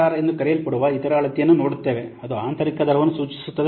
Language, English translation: Kannada, Next, we'll see the other measure that is called as IRR, which stands for internal rate of return